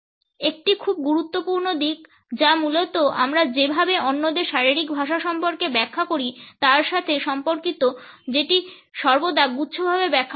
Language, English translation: Bengali, A very important aspect which is essentially related with the way we interpret body language of others is that it is always interpreted in clusters